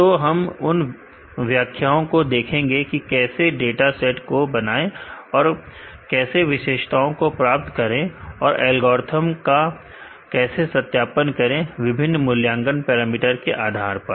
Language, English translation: Hindi, So, we will see the details how to create the dataset and how to get the features and how to validate any algorithm, with respect to a different assessment parameters